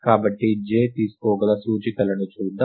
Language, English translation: Telugu, So, let us look at the indices, that j can take